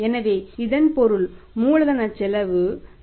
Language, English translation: Tamil, So it means this is the cost of capital that is 0